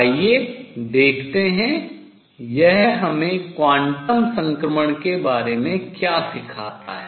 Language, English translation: Hindi, Let us see; what does it teach us about quantum transitions